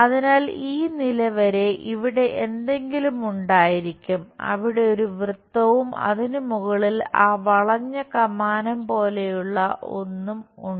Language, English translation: Malayalam, So, up to this level something supposed to go here there is a circle and above that there is something like that curve arch